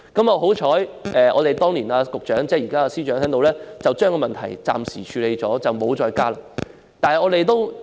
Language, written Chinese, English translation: Cantonese, 幸好，當年的局長即現任司長暫時把問題處理，以致沒有再加管理費。, Fortunately the Secretary at the time that is the incumbent Chief Secretary for Administration solved the problem and the management fee was not increased further